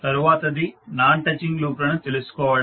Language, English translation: Telugu, Next is to find out the Non touching loops